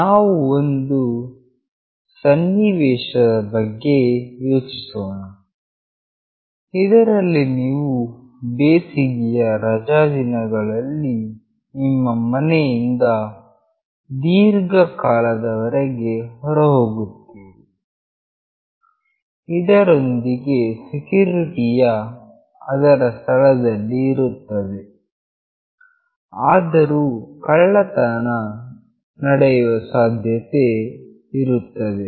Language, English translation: Kannada, Let us think of a scenario, where you are out of your house during summer vacation for a long time, of course securities are there in places, but still theft may occur